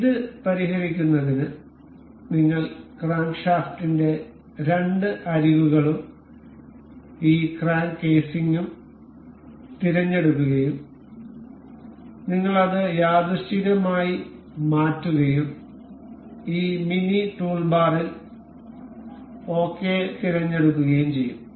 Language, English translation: Malayalam, So, to fix this we will select the two edges of crankshaft, and this crank casing and we will to make it coincide and we will select ok in this mini toolbar